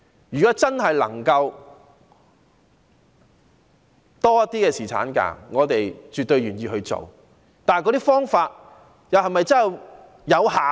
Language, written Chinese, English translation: Cantonese, 如果真的能夠爭取更多侍產假，我們是絕對願意做的，但所採取的方法能否奏效？, We will definitely do whatever it takes to fight for a longer paternity leave if that really works but is the approach so taken effective?